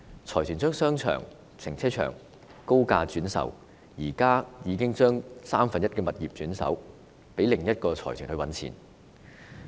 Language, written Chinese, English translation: Cantonese, 財團把商場和停車場高價轉售，現在已把三分之一物業轉手給另一個財團賺錢。, The consortium has resold the shopping arcades and car parks at high prices . One third of the properties have now been resold to another consortium for profit